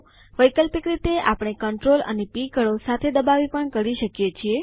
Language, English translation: Gujarati, Alternately, we can press CTRL and P keys together